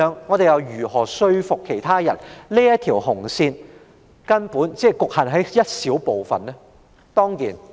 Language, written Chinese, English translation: Cantonese, 我們又如何說服其他人，這條紅線只在小部分情況下適用？, How can we convince others that this red line is scarcely applicable?